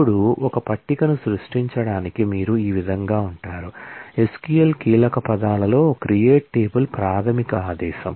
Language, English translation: Telugu, Now, to create a table this is how you go about, the SQL keywords create table is the basic command